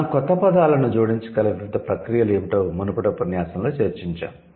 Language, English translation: Telugu, So, then we have discussed what are the different processes by which we can add new words